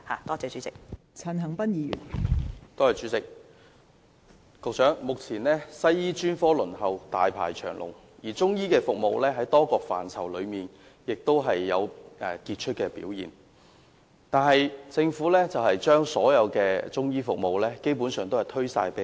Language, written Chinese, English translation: Cantonese, 代理主席，目前輪候西醫專科的人大排長龍，而中醫服務雖然在多個範疇有傑出表現，但政府卻基本上把所有中醫服務全數推給非政府機構負責。, Deputy President on the one hand the waiting list for Western medicine specialist services is very long at present . On the other hand the Government has basically shifted all its responsibility for Chinese medicine services to NGOs despite the remarkable performance of Chinese medicine in quite a number of areas